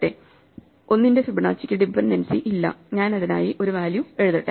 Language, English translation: Malayalam, Fibonacci of 1 needs no dependency, so let me write a value for it